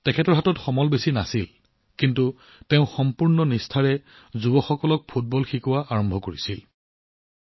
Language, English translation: Assamese, Raees ji did not have many resources, but he started teaching football to the youth with full dedication